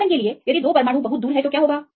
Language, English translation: Hindi, For example, if the two atoms are very far then what will happen